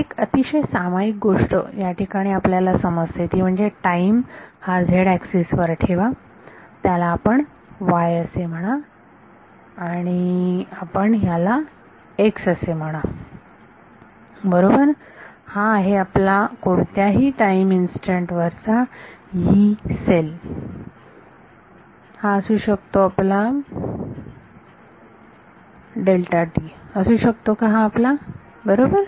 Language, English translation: Marathi, So, one common we have understanding things over here is you put time on the z axis, you call this let us see why and you call this x right this is your Yee cell at some time instant right, this can be your delta t can be this right